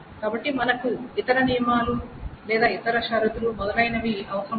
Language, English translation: Telugu, So we do not require any other constraints or any other conditions, etc